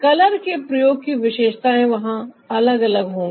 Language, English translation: Hindi, the characteristics of the use of color are different there